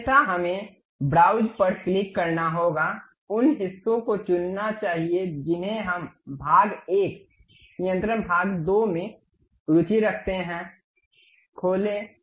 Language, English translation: Hindi, Otherwise, we have to click browse, pick those parts which we are interested in part1 control part2, open